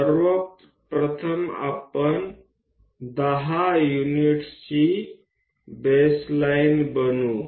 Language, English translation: Marathi, First of all, let us construct a baseline of 10 units